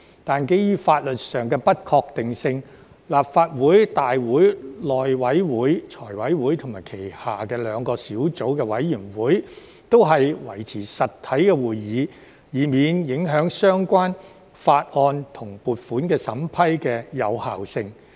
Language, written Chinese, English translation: Cantonese, 但是，基於法律上的不確定性，立法會大會、內務委員會、財委會及其轄下兩個小組委員會均維持實體會議，以免影響相關法案及撥款審批的有效性。, However due to legal uncertainties this Council the House Committee FC and its two subcommittees maintained physical meetings to avoid undermining the validity of relevant bills and funding approvals